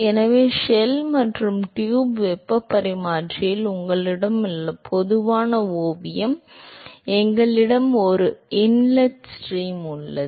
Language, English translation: Tamil, So, where you have in shell and tube heat exchanger the typical sketch of that is we have an inlet stream